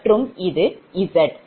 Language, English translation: Tamil, that is z